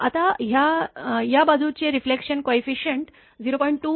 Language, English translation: Marathi, Now this side reflection coefficient is 0